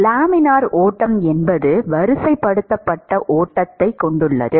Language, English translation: Tamil, The Laminar flow is has an ordered flow where things flow in streamlines